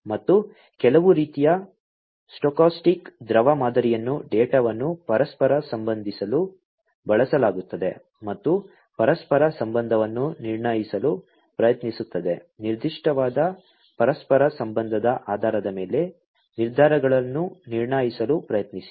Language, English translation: Kannada, And some kind of a stochastic fluid model is used to correlate the data and try to infer the correlation basically try to infer the decisions, based on that particular correlation